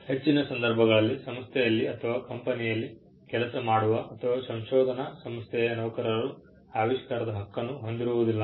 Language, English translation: Kannada, In most cases, employees who work for an organization, say a company or a research organization, do not own the invention